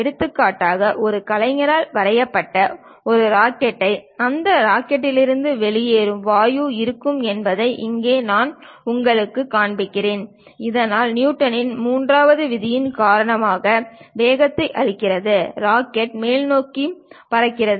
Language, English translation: Tamil, For example, here I am showing you a rocket which is drawn by an artist there will be exhaust gas coming out of that rocket, and thus giving momentum because of Newton's 3rd law, the rocket flies in the upward direction